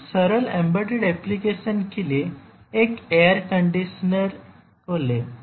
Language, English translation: Hindi, For very very simple embedded applications, for example, let us say a air conditioner